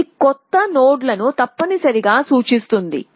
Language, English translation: Telugu, So, this one represents that new nodes essentially